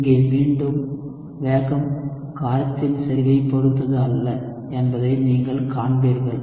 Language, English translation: Tamil, So, here again, you would see that the rate does not depend at all on the concentration of the base